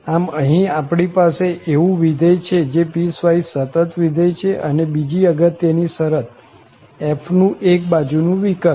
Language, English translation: Gujarati, So, here, we have the function which is piecewise continuous function and the second condition is more important, one sided derivatives of f